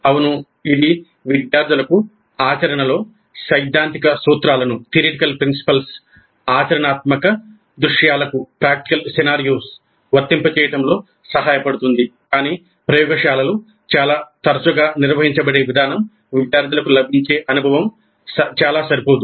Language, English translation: Telugu, Yes, it does help the students in practicing in applying the theoretical principles to practical scenarios, but the way the laboratories are conducted, most often the kind of experience that the students get is found to be quite inadequate